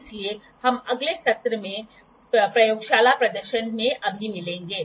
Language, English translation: Hindi, So, we will meet in the next session in the laboratory demonstration only as of now